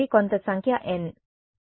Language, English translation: Telugu, So, some number n right